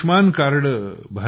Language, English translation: Marathi, So you had got an Ayushman card